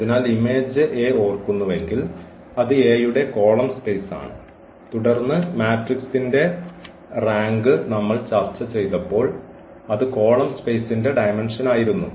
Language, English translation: Malayalam, So, if we remember the image A is the column space of A and then the dimension of the column space when we have discussed the rank of the matrix